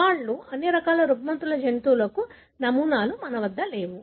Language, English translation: Telugu, The challenges, we do not have animal models for all the disorders